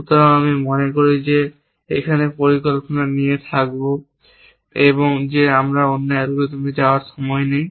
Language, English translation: Bengali, So, I think I will stop here with planning we do not have time to go into the other algorithms